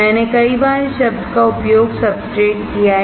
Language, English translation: Hindi, I have used this word "substrate" many times